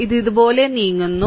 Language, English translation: Malayalam, So, it is moving like this